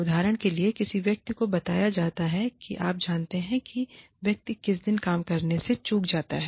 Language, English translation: Hindi, For example, a person is told that, you know, the person misses work on some day